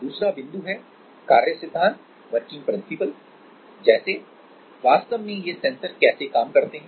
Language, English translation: Hindi, Second is working principle like how do they work actually